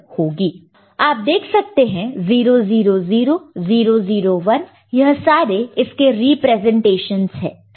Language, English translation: Hindi, And you see, 000, 001 these are the corresponding representations